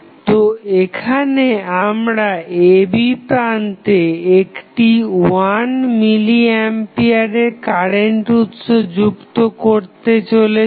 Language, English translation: Bengali, So, here what we are going to do we are adding 1 milli ampere of current source across the terminal AB